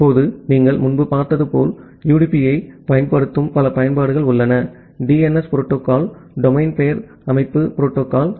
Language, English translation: Tamil, Now, there are multiple application that uses UDP as you have looked earlier, the DNS protocol the domain name system protocol